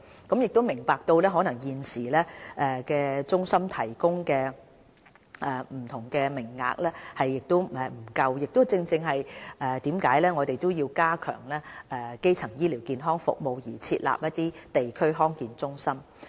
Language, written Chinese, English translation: Cantonese, 我們明白到中心現時提供的不同名額可能不足，所以決定加強基層醫療健康服務而設立地區康健中心。, We understand that the different quotas provided by EHCs may not be able cater to the needs . In a bid to strengthen district - level primary health care services we have decided to set up DHCs